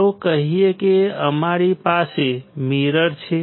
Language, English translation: Gujarati, So, let us say you have a mirror